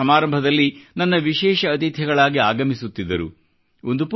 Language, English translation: Kannada, Those children have been attending the functions as my special guests